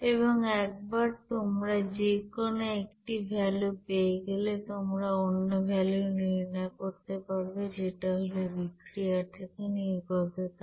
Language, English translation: Bengali, And once you know either one of this you know value, you can calculate other value of this heat released by that reaction